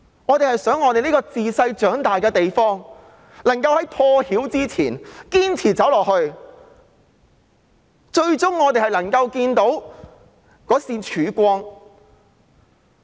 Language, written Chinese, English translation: Cantonese, 我們很希望這個大家自小長大的地方，可以在破曉前堅持走下去，最終我們會看到一線曙光。, We very much hope that this place where we grew up can continue to hang on before dawn and we will finally see a ray of hope